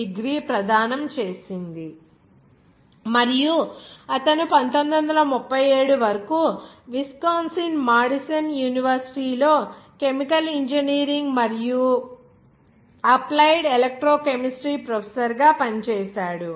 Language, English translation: Telugu, degree to him in chemical engineering, and he was a professor of chemical engineering and applied electrochemistry at the University of Wisconsin Madison until 1937